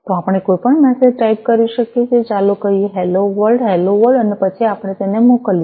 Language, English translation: Gujarati, So we can type in any message, let us say, hello world, hello world, and then we send it